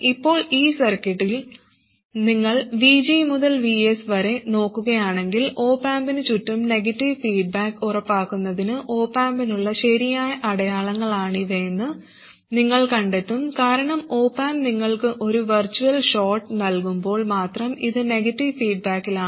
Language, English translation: Malayalam, Now if you look at the rest of the circuit from this V G to VS, you will find that this is the correct sign of the – these are the correct signs for the op amp to ensure negative feedback around the op amp itself because the op am gives you this virtual short property only when it is in negative feedback